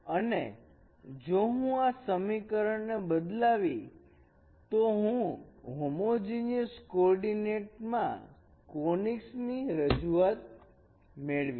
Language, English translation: Gujarati, And if I replace this in this equation then we will get a representation of conics in the homogeneous coordinate representation